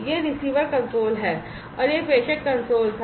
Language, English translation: Hindi, So, this is the receiver console and that was the sender console